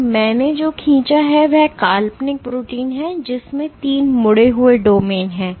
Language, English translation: Hindi, So, what I have drawn is the imaginary protein which has three folded domains